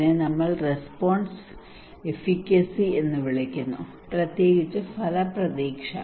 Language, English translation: Malayalam, this is we called response efficacy, particularly outcome expectancy